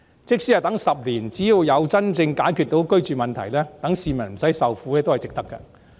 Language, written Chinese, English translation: Cantonese, 即使要等10年，只要能真正解決居住問題，讓市民不用受苦，也是值得的。, Even if we have to wait for 10 years it is still worthwhile so long as it can truly resolve the housing problem and end the peoples suffering